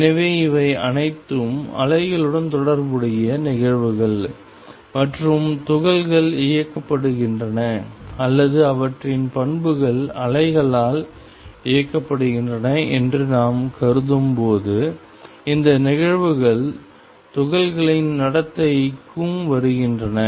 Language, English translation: Tamil, So, these are all phenomena concerned with waves and when we consider particles as being driven by or their properties been driven by waves these phenomena come into particles behavior also